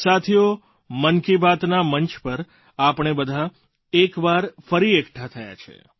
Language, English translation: Gujarati, Friends, we have come together, once again, on the dais of Mann Ki Baat